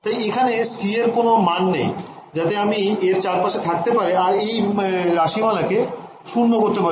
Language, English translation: Bengali, So, there is no value of c that I can play around with that can make this expression going to 0